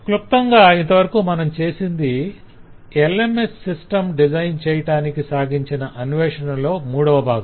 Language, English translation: Telugu, so to summarize this has been the third part of our exploratory exercise on the design of the lms system